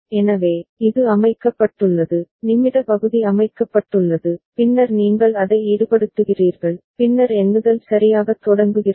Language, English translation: Tamil, So, it is set, the minute part is set and then you engage it, then the counting starts ok